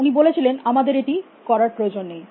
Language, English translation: Bengali, He said not we do not have to do that